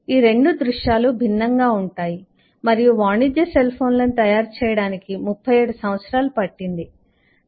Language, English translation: Telugu, the scenarios: these 2 scenarios are different and, for your statistics, it took over 37 years to make commercial cell phones